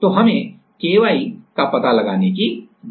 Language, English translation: Hindi, So, we need to find out find out that Ky